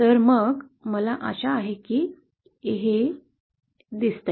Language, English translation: Marathi, So then I hope this is visible